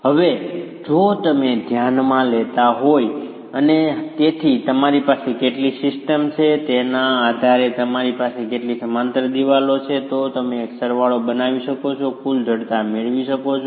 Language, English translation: Gujarati, Now if you were to consider the and therefore depending on how many of a system, how many of a parallel walls you have, you can make a summation and get the total stiffness